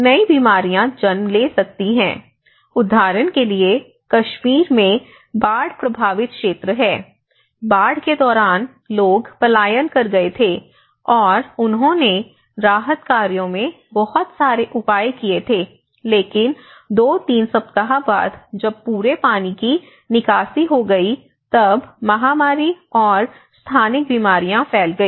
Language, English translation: Hindi, A new diseases will be born, imagine there is a flood affected area in Kashmir, what happened was during the floods, people were migrated, and they have taken a lot of measures in the relief operations but after two, three weeks when the whole water get drained up, then the new set of diseases came when because of the epidemic and endemic diseases spread out when the water drained up